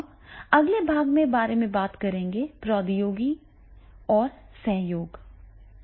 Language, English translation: Hindi, Now the next part we will talking about the technology and collaboration